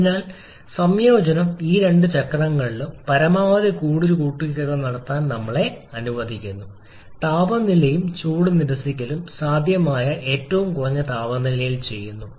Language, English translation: Malayalam, So the combination of this is 2 cycle is allowing is to get the heat addition done at the maximum possible temperature and heat reaction done at the minimum possible temperature and that is why we are getting this high level of efficiency